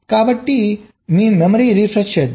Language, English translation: Telugu, so let me just refresh your memories